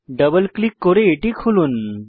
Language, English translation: Bengali, Double click on it and open it